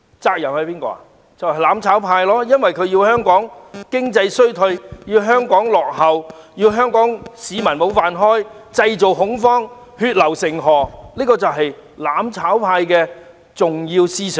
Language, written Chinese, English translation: Cantonese, 就是"攬炒派"，因為他們想香港經濟衰退和落後於人、弄丟香港市民的"飯碗"，以及製造恐慌和血流成河的局面，這些就是"攬炒派"的重要思想。, The answer is Members from the mutual destruction camp for they attempt to plunge Hong Kong into an economic recession and inferior status throw members of the Hong Kong public out of job and create a state of panic and bloodshed . These are the core ideas of the mutual destruction camp